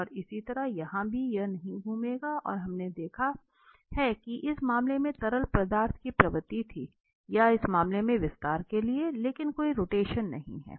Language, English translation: Hindi, And similarly, here also it will not rotate and we have seen that there was a tendency of the fluid to compress in this case or for the expansion in this case, but there is no rotation